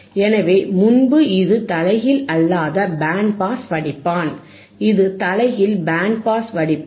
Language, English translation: Tamil, So, earlier it was non inverting band pass filter, this is inverting band pass filter